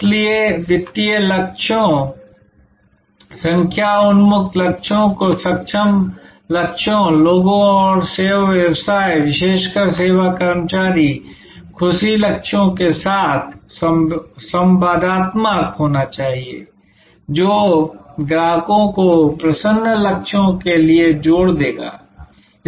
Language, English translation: Hindi, So, financial goals, number oriented goals must be interactive with competence goals people and service business particularly the service employee happiness goals which will combine to lead to customer delight goals